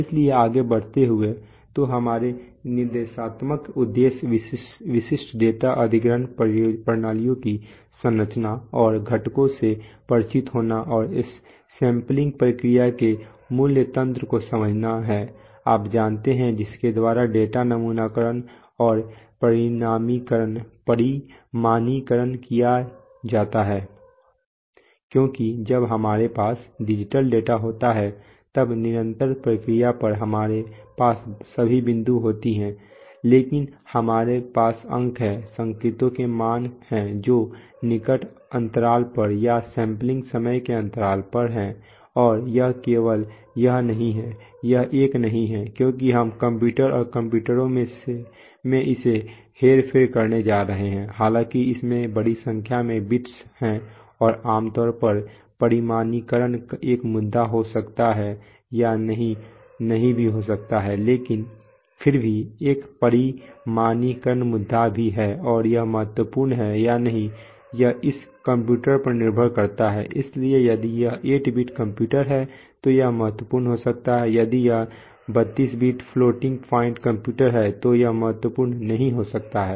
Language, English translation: Hindi, So moving on, we have, as instructional objectives to get familiar with the structure and components of typical data acquisition systems and to understand the basic mechanism of the process of sampling, you know, by which data sampling and quantization because when we have digital data we do not have all the points on the, on the continuous process but we have points, values of the signals which are at close intervals or at intervals of the sampling time and it is not only it is a, it is not a because we are going to manipulate it in the computer and the computer although it has a large number of bits and usually quantization may or may not be an issue but nevertheless there is a quantization issue as well and that whether it is important or not that depends on the computer, so if it is an 8 bit computer then it could be important, if it is a32 bit floating point computer it may not be important